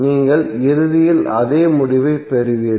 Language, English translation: Tamil, So you will get eventually the same result